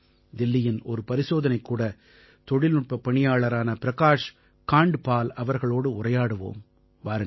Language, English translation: Tamil, So now let's talk to our friend Prakash Kandpal ji who works as a lab technician in Delhi